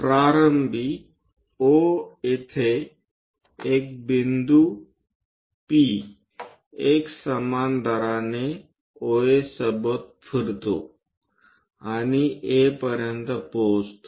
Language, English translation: Marathi, A point P initially at O moves along OA at a uniform rate and reaches A